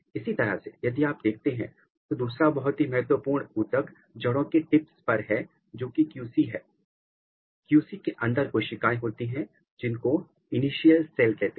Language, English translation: Hindi, Similarly, another very important tissue if you look here in the root tip here this is QC; in QC these are the cells which are called initial cells